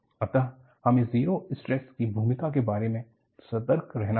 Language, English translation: Hindi, So, you have to be careful about the role of the zero stress